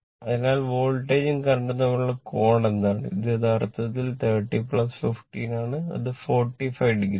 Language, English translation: Malayalam, So, what is the angle between the voltage and current it is actually 30 plus 15 that is your 45 degree right